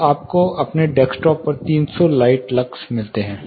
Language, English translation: Hindi, So, that you get three hundred light lux on your desktop